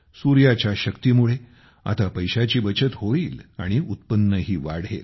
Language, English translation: Marathi, The power of the sun will now save money and increase income